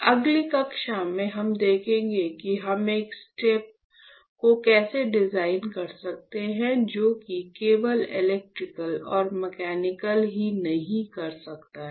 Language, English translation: Hindi, In the next class, we will see how can we design one step, which can also, which can not only do electrical and mechanical